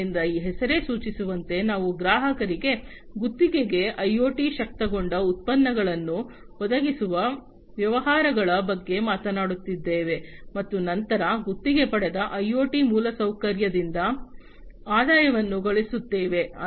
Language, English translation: Kannada, So, basically you know as this name suggests, we are talking about businesses providing IoT enabled products on lease to customers, and then earning revenue from that leased out IoT infrastructure